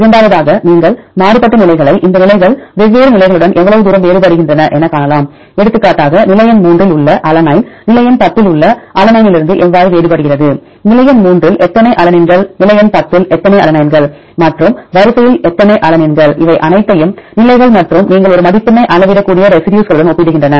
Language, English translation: Tamil, And the second one you can do the variance based measure right how far this positions vary with different positions for example, alanine in position number 3, how this differs from alanine in position number 10; how many alanines in position number 3 how many alanines in position number 10 and totally how many alanines in sequence compare with all these with positions and the residues you can measure a score